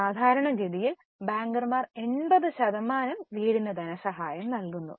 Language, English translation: Malayalam, Normally, bankers finance 80% of house or even more sometimes